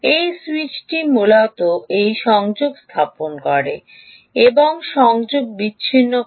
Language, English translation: Bengali, this switch essentially connects and disconnects